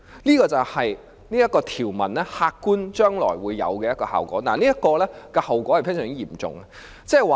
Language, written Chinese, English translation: Cantonese, 這便是此條條文將來會有的客觀效果，並帶來非常嚴重的後果。, This is the objective result of the provision and it will bring about very serious consequences